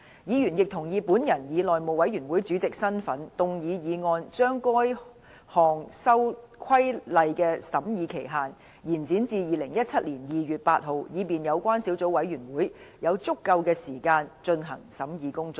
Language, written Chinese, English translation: Cantonese, 議員亦同意我以內務委員會主席的身份，動議議案將該項規例的審議期限，延展至2017年2月8日，以便有關小組委員會有足夠的時間進行審議工作。, Members also agreed that I in my capacity as Chairman of the House Committee shall move a motion to extend the scrutiny period for the Regulation to 8 February 2017 so as to allow sufficient time for the Subcommittees scrutiny